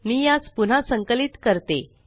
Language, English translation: Marathi, Let me compile it again